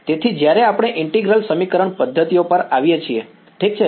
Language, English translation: Gujarati, So, when we come to integral equation methods ok